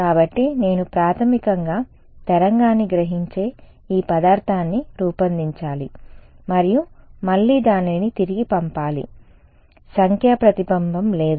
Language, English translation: Telugu, So, I have to design this material which basically absorbs the wave and again it send it back so, no numerical reflection ok